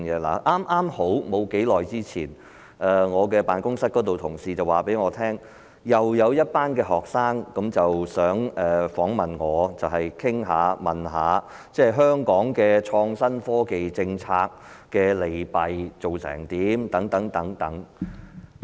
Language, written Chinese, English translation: Cantonese, 剛好在不久之前，我的辦公室同事告訴我，又有一群學生想訪問我關於香港的創新科技政策的現況和利弊等。, Not long ago I was told by colleagues in my office that another group of students wished to interview me concerning the current state as well as the pros and cons of the innovation and technology policy in Hong Kong